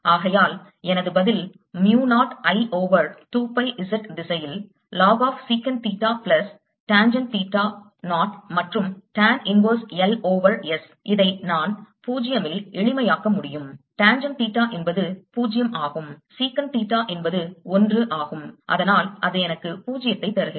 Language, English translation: Tamil, and therefore my answer comes out to be mu naught i over two pi in the z direction log of secant theta plus tangent theta, zero and tan inverse l over s, which i can simplify to: at zero